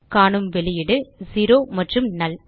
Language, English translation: Tamil, We see the output zero and null